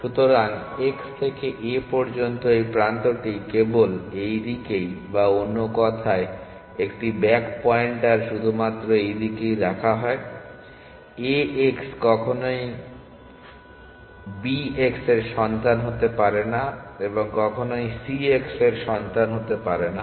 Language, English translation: Bengali, So, this edge from x to a is only diverged in this direction or in other words a back pointer is put only in this direction a x can never become a child of a x can never become a child of b x can never become a child of c and